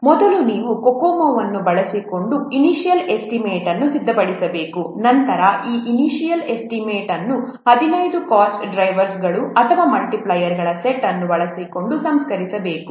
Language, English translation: Kannada, So first you have to prepare the initial estimate using Kokomo, then this initial estimate they can estimate, it can be refined by using a set of 15 cost drivers or multipliers